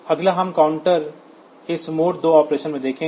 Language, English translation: Hindi, Next we will look into this mode 2 operation of counter